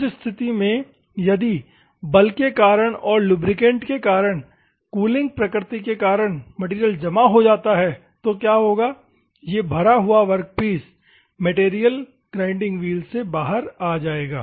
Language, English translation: Hindi, In that circumstances, if there is a clogging of the material, because of this force and because of the lubricity and because of the cooling nature what will happen, this clogged workpiece material will come out of the wheel